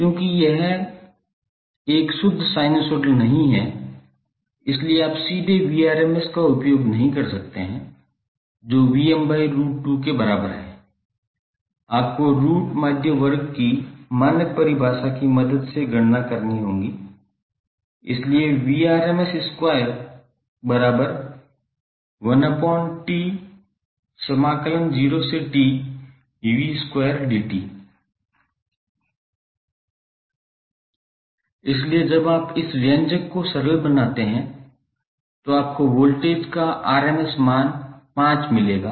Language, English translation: Hindi, Since it is not a pure sinusoidal you cannot directly use Vrms is equal to Vm by root 2 you have to calculate with the help of the standard definition of root mean square, so Vrms square is nothing but 1 by T, 0 to T v square dt you put the value of voltage value that is 10 sine t for 0 to pi and 0 pi to 2 pi